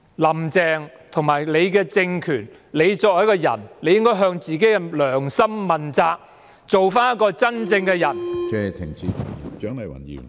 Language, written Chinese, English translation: Cantonese, "林鄭"身為一個人，應向自己的良心問責，做一個真正的人。, As a person Carrie LAM should be accountable to her conscience and be a real person